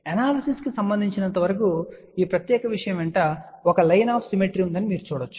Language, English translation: Telugu, As far as the analysis is concerned you can see that along this particular thing, there is a line of symmetry